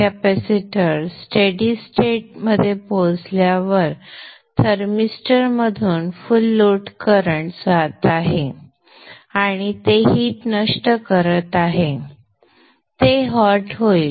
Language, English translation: Marathi, And as the capacity reaches steady state, the full load current is passing through the thermister and it is dissipating heat and it will become hot